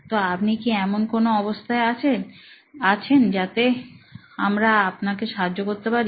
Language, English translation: Bengali, So, is there something that you are facing that we can probably help you with